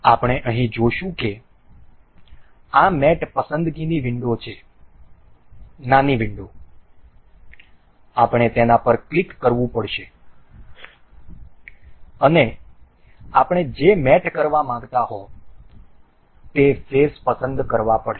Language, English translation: Gujarati, We will see here this mate selections has a window, small window we have to click on that and select the faces we want to do we want to mate